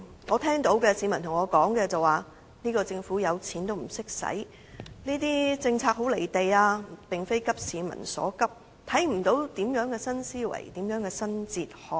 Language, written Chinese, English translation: Cantonese, 我聽到市民對我說，"政府有錢也不懂花"、"政策很'離地'，並非急市民所急，看不到有何新思維，有何新哲學"。, I have heard members of the public say to me Even though the Government is rich it does not know how to spend its money or the policies are very far removed from reality and fail to address the pressing needs of the public . One cannot see any new thinking or new philosophy